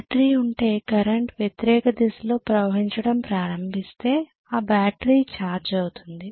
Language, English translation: Telugu, If the current starts flowing in the opposite direction if there is a battery, that battery is going to get charged right